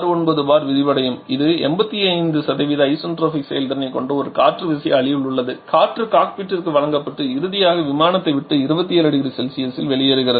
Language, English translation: Tamil, 69 body in an air turbine having isentropic efficiency of 85% the air is delivered to the cockpit and finally leaves the aircraft 27 degree Celsius